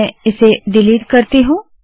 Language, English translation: Hindi, So suppose I delete this